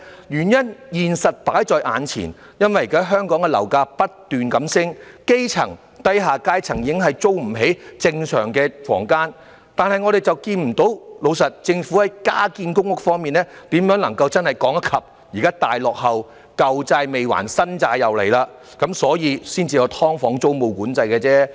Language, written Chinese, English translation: Cantonese, 原因是事實擺在眼前，因為現時香港的樓價不斷上升，基層、低下階層已租不起正常的房間，但我們卻看不到......老實說，政府在加建公屋方面如何能夠真正趕得上現時大落後......"舊債"未還，"新債"又來了，因此才有"劏房"租務管制而已。, The reason is that with the fact right before us grass roots and people of the lower class can no longer afford to rent normal apartments given the current rising property prices in Hong Kong yet we can see no honestly how the Government can genuinely catch up the present huge lag in building additional public rental housing PRH flats as new debts emerges before old debts are settled there comes the tenancy control on SDUs